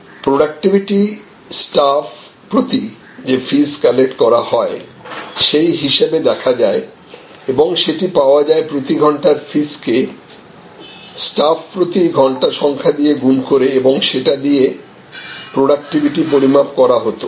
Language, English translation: Bengali, So, productivity was finally, seen that fees per staff that could be collected, so which could be then a fees per hours into hours per staff and that was the measure of productivity